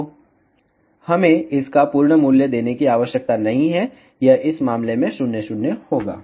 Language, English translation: Hindi, So, we need not to give the absolute value of this, it will be 0, 0 in this case